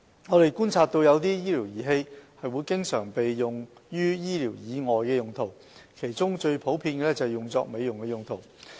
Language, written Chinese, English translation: Cantonese, 我們觀察到有些醫療儀器會經常被用於醫療以外的用途，其中最普遍的是用作美容用途。, We observe that some medical devices are frequently used for non - medical purposes of which mostly for cosmetic purposes